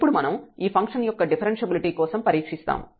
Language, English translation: Telugu, So, this is useful in testing the differentiability of the function